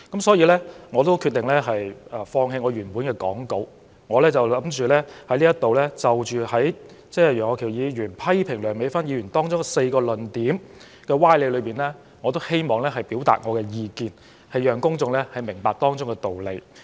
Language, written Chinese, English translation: Cantonese, 所以，我決定放棄原已預備的講稿，在此就楊岳橋議員批評梁美芬議員的發言中4個屬歪理的論點表達意見，讓公眾明白當中的道理。, I have thus decided to drop the prepared script of my speech and express my views here on four fallacies in the arguments presented by Mr Alvin YEUNG when he criticized Dr Priscilla LEUNG just now so that the public can understand the reasoning behind